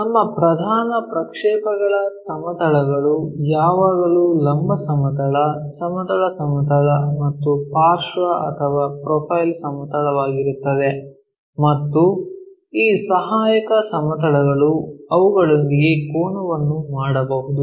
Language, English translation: Kannada, So, our principle projection planes are always be vertical plane, horizontal plane and side or profile plane and these auxiliary planes may make an inclination angle with them